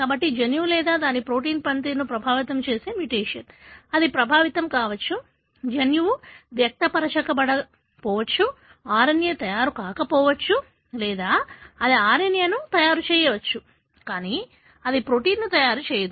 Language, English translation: Telugu, So, the mutation affecting the function of the gene or its protein; either it may affect, the gene itself may not be expressed, RNA may not be made or it does make RNA, but it does not make protein